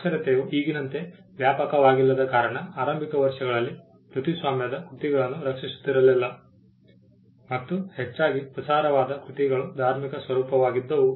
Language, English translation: Kannada, Since literacy was not widespread as it is now, the need for protecting copyrighted works was not there in the initial years and largely the works that were circulated were of religious nature